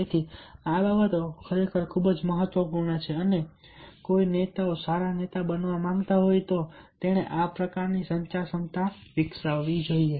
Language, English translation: Gujarati, so these things are really very, very important, and a leader must develop this kind of ability, communication ability, if he wants to be a good leader